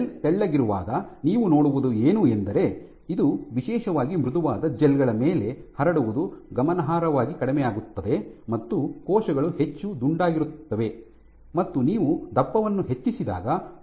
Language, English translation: Kannada, What you see is when the gel is thin this spreading on particularly on soft gels where on thick gel spreading was significantly less cells were mostly remaining rounded on as you increase the thickness after as you reduce the thickness of the gel, what you find is cells spend more and more